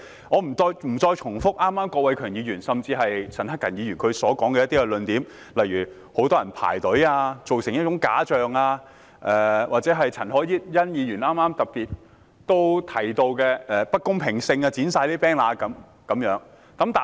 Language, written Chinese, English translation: Cantonese, 我不會重複剛才郭偉强議員甚至陳克勤議員的論點，例如很多人排隊，以致造成一種假象，又或陳凱欣議員剛才特別提到出現不公平的地方，例如把 banner 全部剪掉等。, I will not repeat the points made by Mr KWOK Wai - keung and even Mr CHAN Hak - kan earlier on . For example when many people queued up that could create a false picture; or the unfair phenomena that Ms CHAN Hoi - yan particularly mentioned earlier such as all the banners being ripped apart